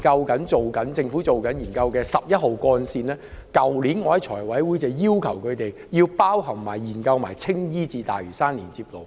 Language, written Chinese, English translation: Cantonese, 例如政府現正研究的十一號幹線，我去年在財務委員會會議席上已要求政府在研究內包括青衣至大嶼山的連接路。, For example the Government is now conducting a study on Route 11 and last year at a meeting of the Finance Committee I already requested that the Government include a link road connecting Tsing Yi and Lantau in the study